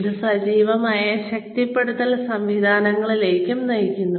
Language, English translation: Malayalam, It also leads to active reinforcement systems